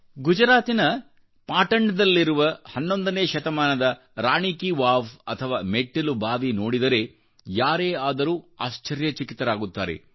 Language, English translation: Kannada, Anybody will feel overawed on seeing Rani Ki Vaav of the 11th Century in Patan in Gujarat